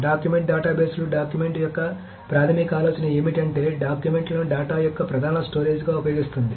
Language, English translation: Telugu, So what is the basic idea of the document is that it uses documents as the main storage of data